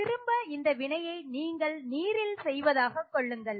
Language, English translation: Tamil, And again, you are doing this reaction in water